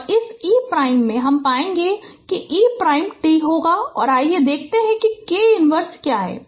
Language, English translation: Hindi, So this e prime we will find out e prime will be t and let us see what is k inverse